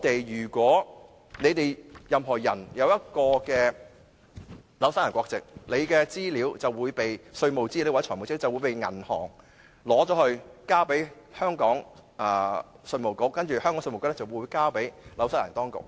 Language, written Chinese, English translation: Cantonese, 如果任何人擁有新西蘭國籍，其稅務或財務資料就會被銀行交給香港稅務局，再由稅局把資料交給新西蘭當局。, If a person has obtained New Zealand nationality his taxation or financial information will be passed by the banks to the Inland Revenue Department IRD of Hong Kong and then passed by IRD to the New Zealand authorities